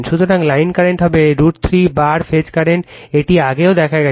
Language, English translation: Bengali, So, line current will be is equal to root 3 times phase current, this we have seen earlier also